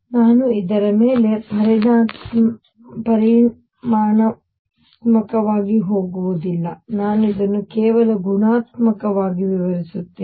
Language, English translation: Kannada, I am not going to go quantitative on this I will describe this only qualitatively